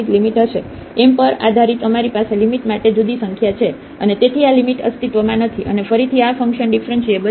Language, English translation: Gujarati, Depending on m we have a different number for the limit, and hence this limit does not exist, and again this function is not differentiable